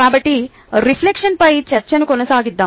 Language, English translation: Telugu, so let us continue with the discussion